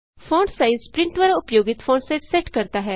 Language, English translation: Hindi, fontsize sets the font size used by print